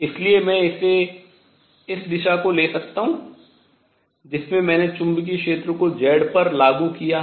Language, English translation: Hindi, So, I can take this direction in which I have applied the magnetic field to be z